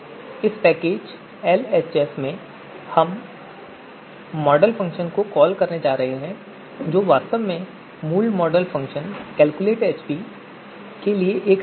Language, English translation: Hindi, So in this package LHS, we are going to call this model function which is actually a wrapper for the original model function calculate AHP